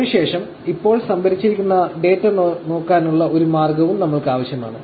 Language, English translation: Malayalam, So, now, we also need a way by which to look at the data that is being stored